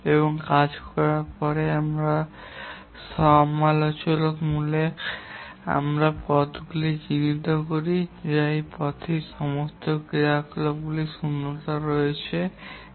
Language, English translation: Bengali, And after having done that we identify the critical paths that is the path on which all the activities have zero slack